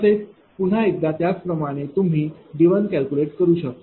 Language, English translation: Marathi, Similarly, again similar way you calculate D1, right